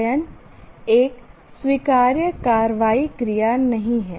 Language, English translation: Hindi, So, study is not an acceptable action verb